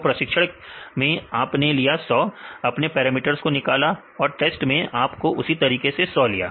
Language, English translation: Hindi, So, in the training you take the 100, you derive the parameters and the test you take the same 100